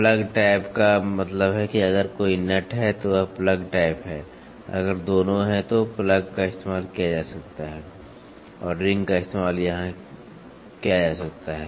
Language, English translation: Hindi, Plug type means if there is a nut it is plug type, if there is both can be used plug and ring can be used here